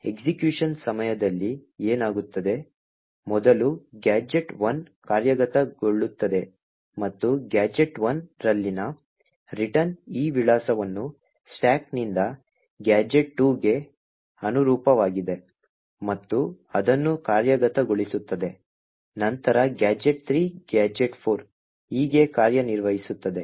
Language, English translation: Kannada, So, what happens during executions, is first gadget 1 executes and the return in gadget 1 would pick this address from the stack which corresponds to gadget 2 and execute, then gadget 3, gadget 4 and so on executes in such a way